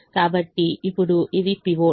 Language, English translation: Telugu, so now this is the pivot